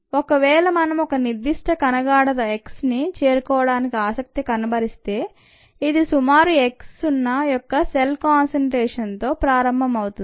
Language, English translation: Telugu, if we are interested in reaching a certain cell concentration, x, beginning with the cell concentration of about x zero